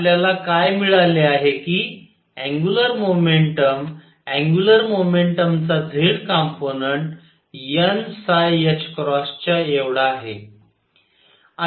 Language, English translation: Marathi, So, what we have found is that the angular momentum z component of angular momentum is equal to n phi h cross